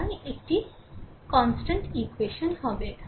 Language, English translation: Bengali, So, one constant equation will be there